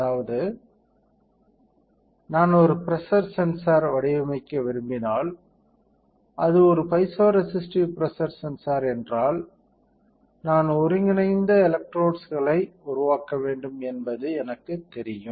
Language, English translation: Tamil, That means if I want to design a pressure sensor, then I know that if it is a piezoresistive pressure sensor, I have to create interdigitated electrodes